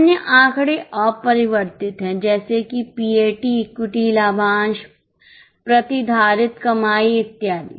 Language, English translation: Hindi, Other figures are unchanged like PAT, equity dividend, retain earnings and so on